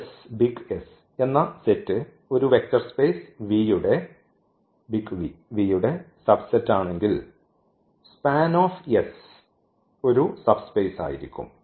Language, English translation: Malayalam, So, if as is a subset of a vector space V then this is span S yes so, what is span S